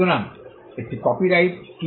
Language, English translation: Bengali, So, what is a copyright